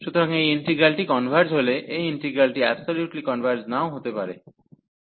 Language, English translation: Bengali, So, if the integral converges, the integral may not converge absolutely